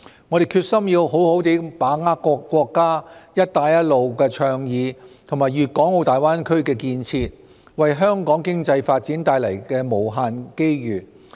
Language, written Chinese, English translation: Cantonese, 我們決心要好好把握國家"一帶一路"倡議和粵港澳大灣區建設為香港經濟發展帶來的無限機遇。, We are resolved to aptly seize the boundless opportunities brought by the national Belt and Road Initiative and the development of the Guangdong - Hong Kong - Macao Greater Bay Area